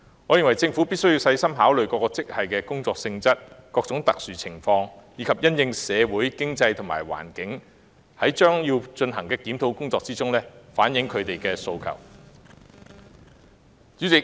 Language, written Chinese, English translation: Cantonese, 我認為，政府必須細心考慮各個職系的工作性質、社會和經濟環境，以及因應各種特殊情況，在將要進行的檢討工作中，反映他們的訴求。, In my opinion the Government must consider meticulously the job nature of each grade as well as the socio - economic environment and in response to various special circumstances reflect staff members wishes in the upcoming review